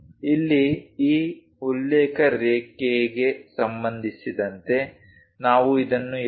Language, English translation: Kannada, Here, with respect to this reference line, we are showing it as 2